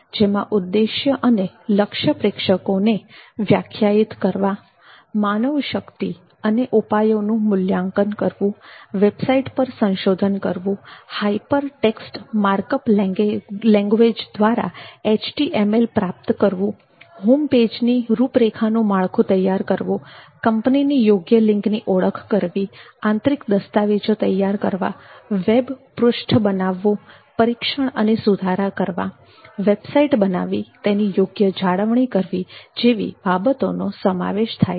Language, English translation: Gujarati, the marketing plan on internet so define objective and target audience evaluation of manpower and recourses research the web sites acquire the hyper text markup language HTML outline structure of the home page appropriate outside link identification prepare internal documents web page creation testing and enhancement of website and maintain website these are some of the marketing plans requirements of the internet